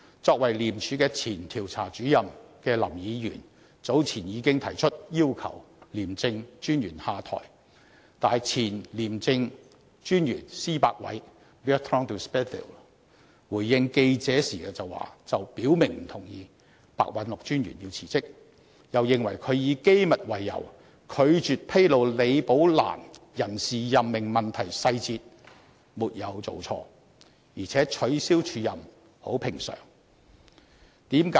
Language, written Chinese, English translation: Cantonese, 作為廉署前調查主任的林議員早前已經提出要求廉政專員下台，但前廉政專員施百偉回應記者時卻表明不同意白韞六專員辭職，又認為他以機密為由，拒絕披露李寶蘭人事任命問題的細節沒有做錯，而且取消署任很平常。, Earlier on Mr LAM as a former Investigator in ICAC demanded the stepping down of the ICAC Commissioner . However a former ICAC Commissioner Mr Bertrand de SPEVILLE when responding to press enquiries expressed his clear disagreement to the resignation of Simon PEH . In his view Simon PEH had done the right thing by refusing to disclose details concerning Rebecca LIs appointment on the grounds of confidentiality and that the cancellation of an acting appointment was actually very common